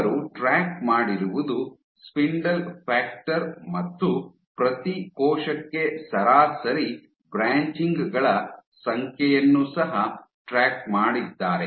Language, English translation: Kannada, And what they also tracked was spindle factor also tracked the number of branches, average number of branches per cell